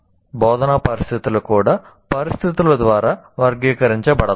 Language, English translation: Telugu, And then instructional situations are also characterized by conditions